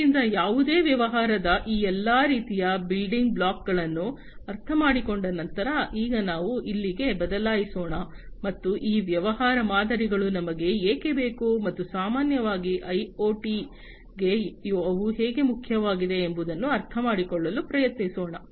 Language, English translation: Kannada, So, having understood all these different types of building blocks of any business; let us now switch our here, and try to understand that why we need these business models, and how they are important for IoT, in general